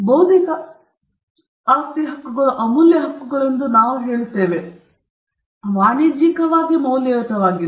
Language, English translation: Kannada, We say that intellectual property rights are valuable rights, they are commercially valuable